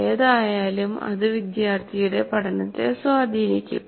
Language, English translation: Malayalam, In either way, it will influence the learning by the student